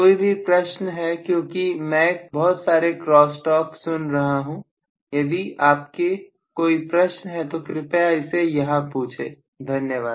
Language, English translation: Hindi, Any questions because I hear a lot of crosstalk if you have any questions please address it here, please, thank you